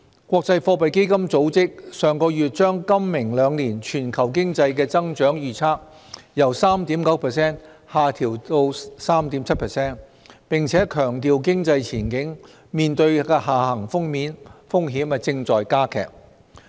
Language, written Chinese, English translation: Cantonese, 國際貨幣基金組織上月把今明兩年全球經濟的增長預測由 3.9% 下調至 3.7%， 並且強調經濟前景面對的下行風險正在加劇。, Last month the International Monetary Fund lowered the projected growth of the global economy for this year and next year from 3.9 % to 3.7 % emphasizing the worsening downside risks in the economic outlook